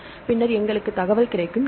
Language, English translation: Tamil, So, then we will get the information